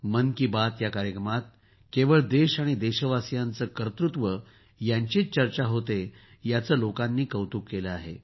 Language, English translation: Marathi, People have appreciated the fact that in 'Mann Ki Baat' only the achievements of the country and the countrymen are discussed